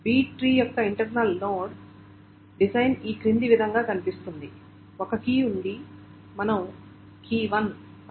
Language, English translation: Telugu, So the internal node design of a B tree looks like the following is that there is a key, let us say key 1